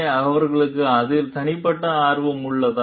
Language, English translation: Tamil, So, do they have any personal interest vested in it